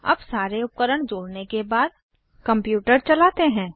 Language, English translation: Hindi, Now that we have connected all our devices, lets turn on the computer